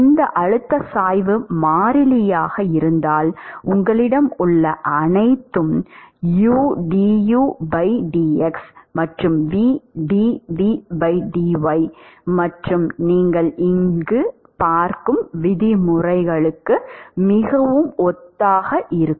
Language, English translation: Tamil, If this pressure gradient is a constant then all you have where is udu by dx plus vdv by d u by dy and that is very similar to the terms that you see here